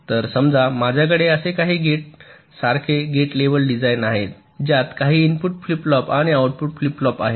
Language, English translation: Marathi, so here, suppose i have a gate level design like this: some gates with some input flip flops and output flip flop